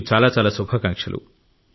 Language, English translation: Telugu, I wish you all the best